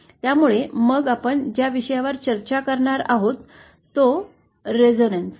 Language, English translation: Marathi, So, then the next topic that we shall be discussing is about resonance